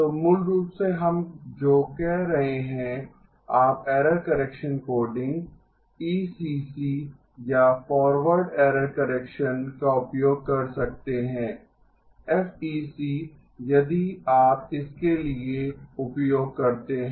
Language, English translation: Hindi, So basically what we are saying is you may use error correction coding ECC or forward error correction FEC if you are used to that